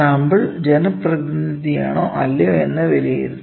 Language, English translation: Malayalam, And assess whether the sample is representative or not